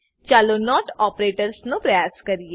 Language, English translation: Gujarati, Lets try out the not operator